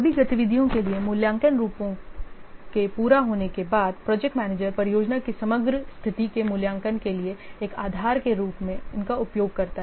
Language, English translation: Hindi, So, following completion of assessment firms for all activities, the project manager uses these as a basis for evaluating the overall status of the project